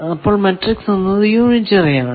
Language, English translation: Malayalam, So, the s matrix will be unitary